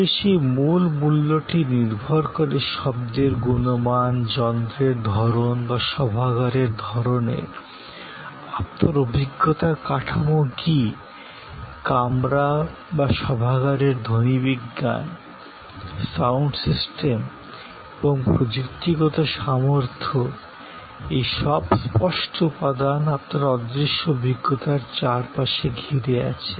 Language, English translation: Bengali, But, that core value depends on the quality of sound, the kind of machine or the kind of auditorium, which is your framework for the experience, the acoustics of the room or the auditorium, the sound system and the technical capability, all of these are different tangible elements, which are around the intangible experience